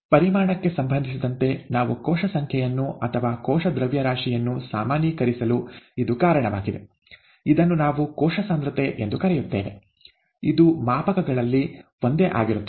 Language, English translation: Kannada, That is the reason why we normalize the cell number or the cell mass with respect to volume, we call that cell concentration, that remains the same across scales